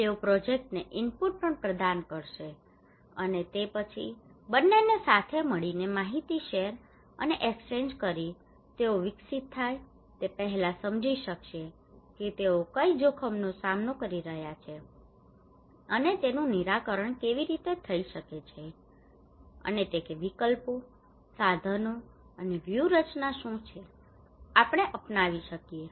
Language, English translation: Gujarati, They would also provide input to the project and then both of them together by sharing and exchanging informations would develop first they would understand the problem what are the risk they are facing and how it can be solved and what are the options, tools and strategies that we can adopt